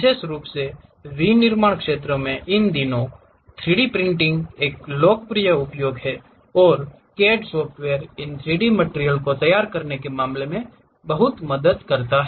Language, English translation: Hindi, Especially, these days in manufacturing sector 3D printing is a popular mantra and CAD software helps a lot in terms of preparing these 3D materials